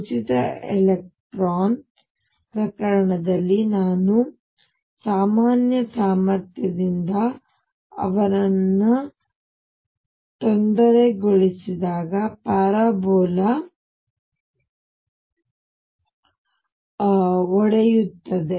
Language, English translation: Kannada, In the free electron case when I disturb them by a regular potential the parabola breaks up